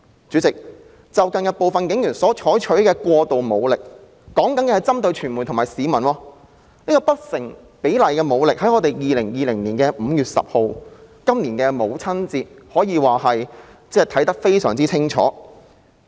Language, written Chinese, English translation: Cantonese, 主席，近日部分警員採用過度武力，我說的是針對傳媒和市民的武力不成比例，從今年母親節所發生的事便可以看得非常清楚。, Chairman some police officers have used excessive force recently . I am referring to the use of disproportionate force against the media and members of the public which can be seen very clearly from what happened on Mothers Day this year ie . 10 May 2020